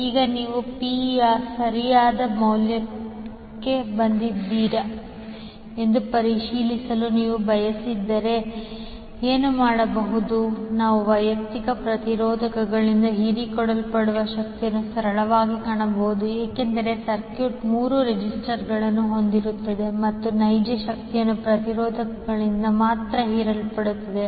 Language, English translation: Kannada, Now if you want to cross verify whether you have arrived at the correct value of P, what we can do we can simply find the power absorbed by the individual resistors because the circuit contains three registers and real power will only be absorbed by the resistors